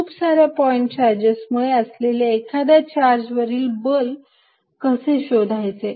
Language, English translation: Marathi, How calculate force on a given charge due to more than one point charge